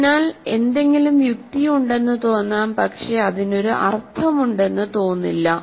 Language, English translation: Malayalam, So, something can make sense to you, but it may not mean anything to you